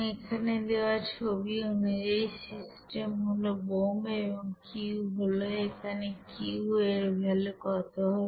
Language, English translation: Bengali, So as par the figure here the you know system is bomb here and Q let us see what will be that Q value